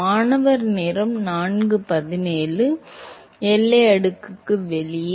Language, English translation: Tamil, Outside the boundary layer